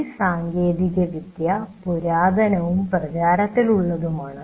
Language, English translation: Malayalam, The technology is the oldest and most prevalent